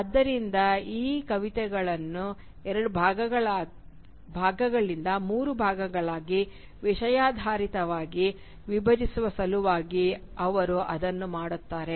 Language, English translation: Kannada, So, and he does that in order to thematically divide the poem into three segments rather than two